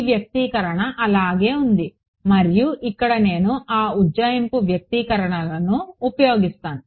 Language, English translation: Telugu, This expression remains as it is and I am left over here with that approximate expressions